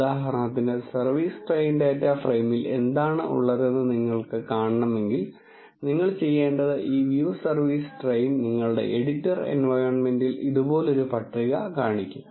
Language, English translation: Malayalam, For example, if you want to see what is there in the service train data frame, what you have to do is this view service train will show a table like this in your editor environment